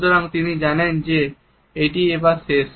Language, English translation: Bengali, So, she knows that its over